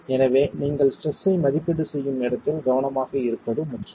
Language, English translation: Tamil, Therefore it is important for you to be careful where you are making the estimates of the stress